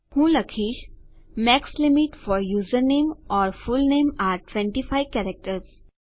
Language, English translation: Gujarati, Let me say Max limit for username or fullname are 25 characters